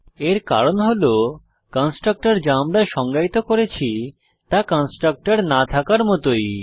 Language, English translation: Bengali, This is because the constructor, that we defined is same as having no constructor